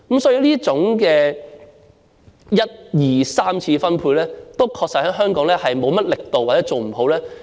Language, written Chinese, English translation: Cantonese, 所以，這種一、二、三次分配確實在香港做得不好，亦缺乏力度。, Therefore the primary secondary and tertiary distributions in Hong Kong are indeed unsatisfactory and lacking punch